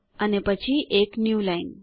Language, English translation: Gujarati, followed by a newline